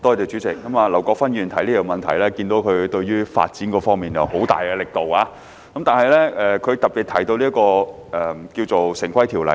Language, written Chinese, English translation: Cantonese, 主席，劉國勳議員提出這項質詢，可見他對於發展方面用了很大力度，其中特別提到《條例》。, President it can be seen from the question raised by Mr LAU Kwok - fan that he has put in a lot of effort on development and particular reference has been made to the Ordinance